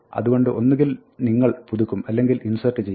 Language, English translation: Malayalam, So, either you update or you insert